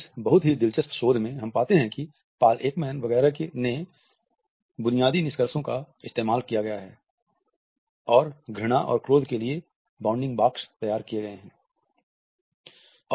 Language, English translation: Hindi, In this very interesting research, we find that the basic findings of Paul Ekman etcetera have been used and bounding boxes for disgust and anger have been created